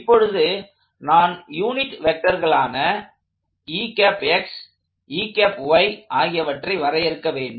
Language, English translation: Tamil, Now, remember I just need to define a unit vector set ex ey